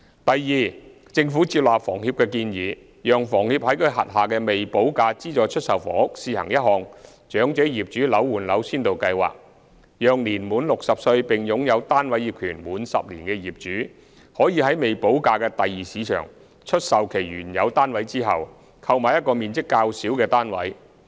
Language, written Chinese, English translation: Cantonese, 第二，政府接納房協的建議，讓房協在其轄下的未補價資助出售房屋試行一項"長者業主樓換樓先導計劃"，讓年滿60歲並擁有單位業權滿10年的業主，可在未補價的第二市場出售其原有單位後，購買一個面積較小的單位。, Second the Government has accepted the recommendation of HKHS for launching a Flat - for - Flat Pilot Scheme for Elderly Owners on a trial basis for its subsidized sale flats with premium not yet paid so that owners aged 60 or above who have owned their flats for at least 10 years can sell their original flats and then buy a smaller one in the Secondary Market without payment of premium